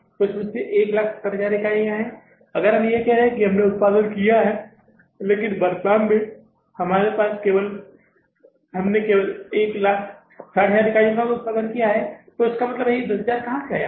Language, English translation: Hindi, So, out of this means 170,000 units if we are saying we have produced, but in the current period we have produced only this 160,000 units